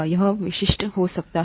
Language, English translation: Hindi, It can be that specific